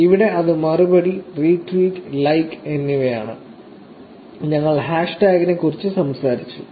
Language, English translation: Malayalam, Here, it is reply, retweet and like and also talked about hashtag also